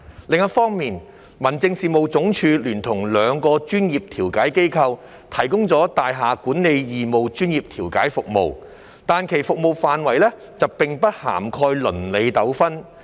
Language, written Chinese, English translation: Cantonese, 另一方面，民政事務總署聯同兩個專業調解機構提供大廈管理義務專業調解服務，但其服務範圍並不涵蓋鄰里糾紛。, On the other hand the Home Affairs Department in collaboration with two professional mediation institutions provides free professional mediation services on building management but the scope of such services does not cover neighbourhood disputes